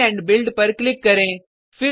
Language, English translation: Hindi, Click on Clean and Build